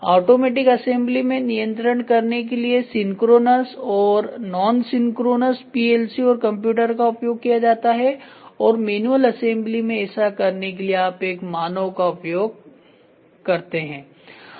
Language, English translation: Hindi, So, in automatic assembly synchronous nonsynchronous robotics plc and computers are used for the or for controlling and manual assembly you use a human being to do it